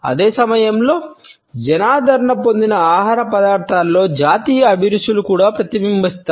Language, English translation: Telugu, At the same time national tastes are also reflected in those food items which are popularly consumed